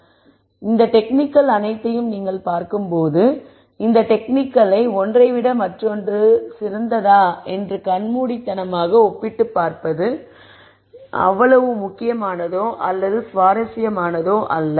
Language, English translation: Tamil, So, in some sense when you look at all of these techniques it is not as important or as interesting to compare these techniques blindly in terms of this is better than the other one and so on